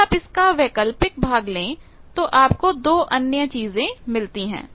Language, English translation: Hindi, Now, if you take that alternate part you can get 2 other things